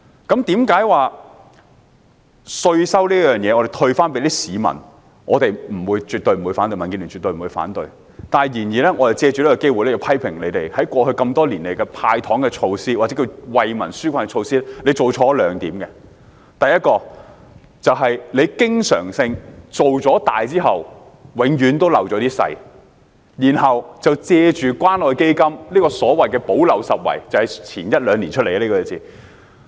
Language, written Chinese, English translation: Cantonese, 在稅收方面，政府退稅給市民，民主建港協進聯盟絕不反對；然而，我們要藉此機會批評政府，在過去多年來的"派糖"措施，或惠民紓困措施，做錯了兩點：第一，政府經常顧大失小，然後藉着關愛基金進行所謂補漏拾遺——這個詞語是一兩年前出現的。, On the tax front the Democratic Alliance for the Betterment and Progress of Hong Kong DAB has absolutely no objection to the Governments offering tax rebate to the public . Nevertheless we take this opportunity to criticize the Government for having made two mistakes with its giveaway or public relief measures in the past years . First subsequent to being pound wise and penny foolish the Government has often made use of the Community Care Fund CCF to purportedly plug the gaps―this term emerged a year or two ago